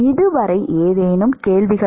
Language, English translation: Tamil, Any questions so far